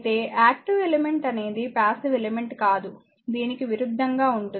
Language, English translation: Telugu, Of course, an active element is one that is not passive just opposite right